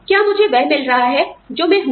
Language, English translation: Hindi, Am I getting, what I am